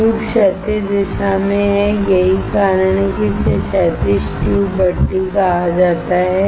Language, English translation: Hindi, The tube is in horizontal direction that is why it is called horizontal tube furnace